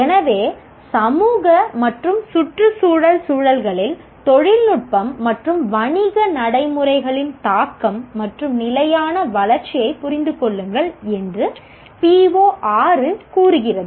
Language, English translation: Tamil, So the PO6 is understand the impact of technology and business practices in societal and environmental context and sustainable development